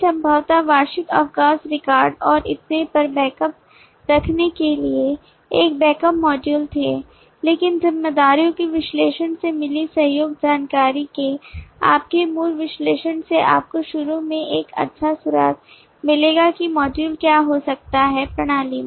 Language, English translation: Hindi, there were possibly a backup module to keep backup of the annual leave record and so on, but your basic analysis of the collaboration information which you got from the analysis of responsibilities will give you a initially a good clue in terms of what could be the modules in the system